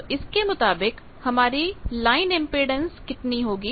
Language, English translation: Hindi, So, what will be the corresponding line impedance